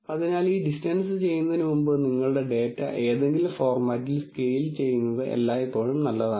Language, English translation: Malayalam, So, it is always a good idea to scale your data in some format before doing this distance